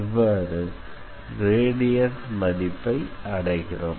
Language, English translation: Tamil, So, we take the gradient and that is what we obtain